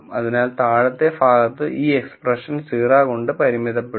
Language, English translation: Malayalam, So, on the lower side this expression will be bounded by 0